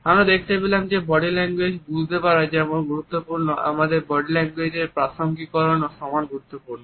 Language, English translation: Bengali, Whereas it is important to understand body language, we find that contextualizing our body language is equally important